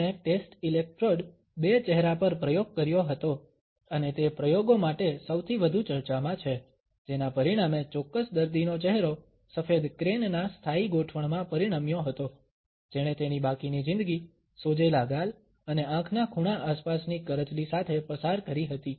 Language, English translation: Gujarati, He had as an experiment at test electrodes two faces and he is most talked about experiments resulted in a permanent fixture of white crane on a particular patient’s face who had to spend rest of his life with puffed up cheeks and crow’s feet around his eyes